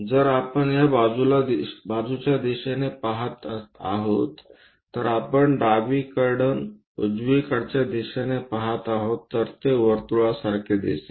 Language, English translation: Marathi, If we are looking from this side on the side, we are looking from left direction all the way towards the right direction, then it looks like a circle